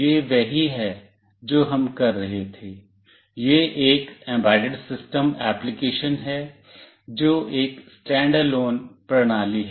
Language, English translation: Hindi, This is what we were doing, that is an embedded system application, which is a standalone system